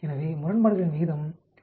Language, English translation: Tamil, So, odds ratio will be 0